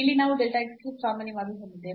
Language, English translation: Kannada, So, here also we can take common delta x cube